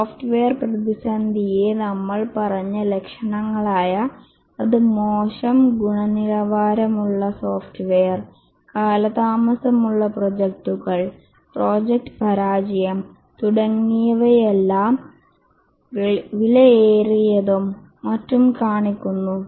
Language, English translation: Malayalam, We said the software crisis as symptoms which show up as poor quality software, delayed projects, project failure, and so on, costly and so on